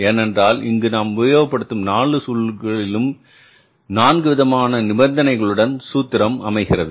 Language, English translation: Tamil, Because in the four situations, in the four conditions, the formulas are different, right